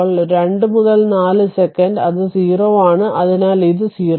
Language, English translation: Malayalam, Then 2 to 4 second, it is 0, so it is 0